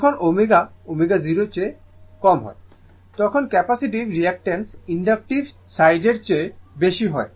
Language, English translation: Bengali, When omega less than omega 0, the capacitive reactance is more then your inductive side right